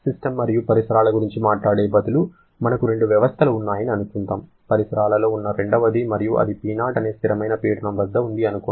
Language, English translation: Telugu, Instead of talking about system and surrounding, let us say we have two systems, the surrounding being the second one which is at a constant pressure of P0